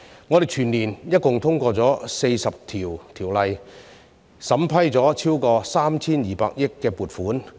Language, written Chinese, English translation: Cantonese, 我們全年度一共通過了40項條例，審批了超過 3,200 億元撥款。, We passed a total of 40 ordinances and approved funds totalling over 320 billion for the whole year